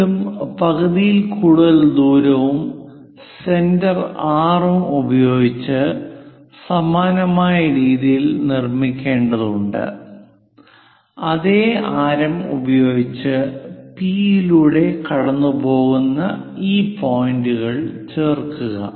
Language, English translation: Malayalam, Again, we have to construct similar way with radius more than half of it centre R with the same radius join these points which will pass through P